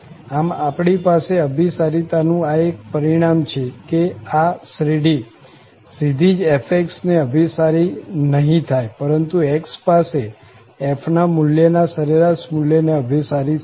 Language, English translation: Gujarati, So, here we have this nice convergence result that this series will converge not directly to f but to the average value of f at that point x